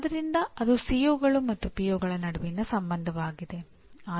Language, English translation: Kannada, So that is the relationship between COs and POs